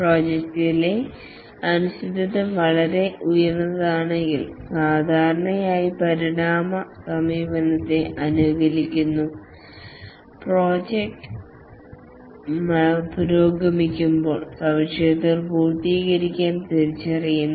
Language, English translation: Malayalam, If the uncertainty in the project is very high, then typically the evolutionary approach is favored, the features are identified to be completed as the project progresses